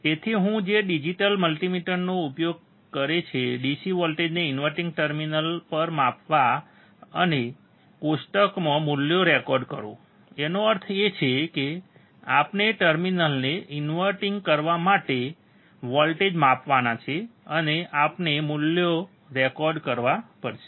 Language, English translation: Gujarati, So, what is that use a digital multimeter measure the DC voltage at inverting terminal and record the values in the table; that means, that we have to measure the voltage at inverting terminal, and we have to record the value